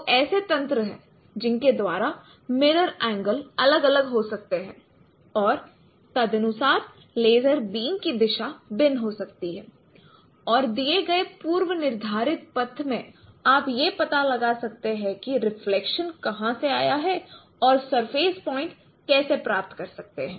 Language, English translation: Hindi, So there are mechanisms by which the mirror angles could be varying and accordingly the direction of laser beam could be varied and in a given predetermined path you can find out that what is the depth from where the reflection came and that is how you can get the surface points